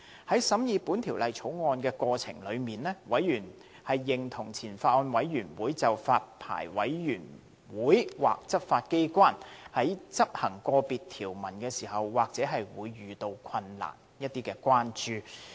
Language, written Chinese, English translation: Cantonese, 在審議《條例草案》過程中，委員認同前法案委員會就發牌委員會或執法機關在執行個別條文時或會遇到困難的關注。, In the course of scrutinizing the Bill members concurred with the concerns expressed by the Former Bills Committee that the Licensing Board or enforcement authorities might encounter enforcement difficulties in implementing specific provisions of the Bill